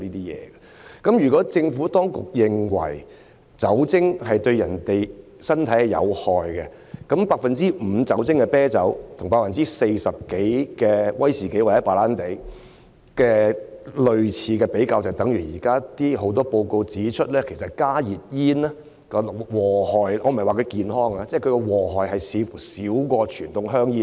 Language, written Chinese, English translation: Cantonese, 如果政府當局認為酒精對人體有害，那麼將 5% 酒精含量的啤酒與 40% 多酒精含量的威士忌或白蘭地比較，便等於現時有很多報告指出，其實加熱煙的危害——我不是說它是健康的——似乎較傳統香煙少。, As the Administration considers alcohol harmful to human body let me make a comparison beer with an alcohol content of 5 % is less harmful than whisky or brandy with an alcohol content of over 40 % . This is similar to the results of many reports that is HNB cigarettes―I am not saying that they are good for health―seem to be less hazardous than conventional cigarettes